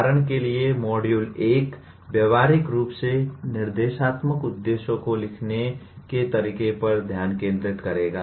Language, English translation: Hindi, For example Module 1 will dominantly focus on how to write Instructional Objectives in behavioral terms